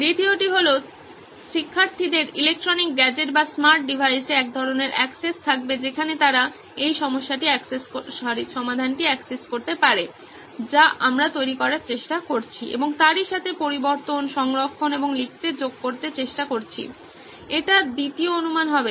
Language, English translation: Bengali, Two will be students have some sort of access to an electronic gadget or a smart device where they can access this solution what we are trying to develop and eventually edit, save and keep writing, adding to the repository that would be assumption two